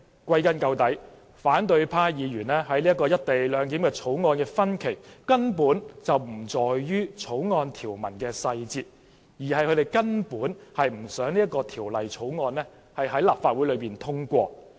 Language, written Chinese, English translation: Cantonese, 歸根究底，反對派議員對《條例草案》的分歧根本不在於條文細節，而是他們根本不想《條例草案》獲得通過。, After all opposition Members oppose the Bill not because of the details of the provisions but because they simply do not want the Bill to be passed